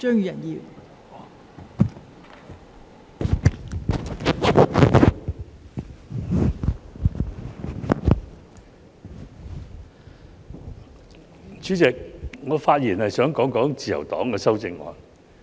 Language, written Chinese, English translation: Cantonese, 代理主席，我發言想談談自由黨的修正案。, Deputy Chairman I would like to speak on the amendment proposed by the Liberal Party